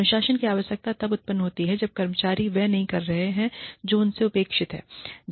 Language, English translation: Hindi, The need for discipline arises, when employees are not doing, what is expected of them